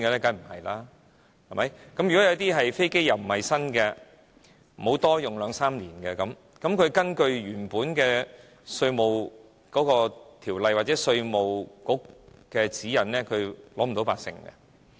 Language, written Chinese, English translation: Cantonese, 假如那些不是新飛機，每架多用兩三年，根據本來的《稅務條例》或稅務局指引，他們則拿不到八成折舊。, So if the aircraft are not new but have been in use for two or three years instead the companies will not be entitled to the 80 % depreciation allowance under the existing Inland Revenue Ordinance or guidelines issued by the Inland Revenue Department